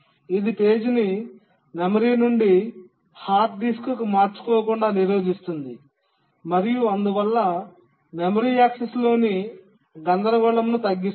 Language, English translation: Telugu, It prevents the page from being swapped from the memory to the hard disk and therefore the jitter in memory access reduces